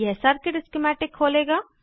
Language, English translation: Hindi, This will open the circuit schematic